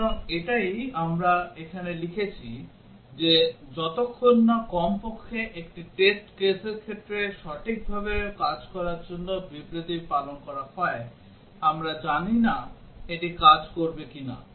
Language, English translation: Bengali, So, that is what we have written here that unless statement is observed to work correctly at least for one test case, we do not know whether it will work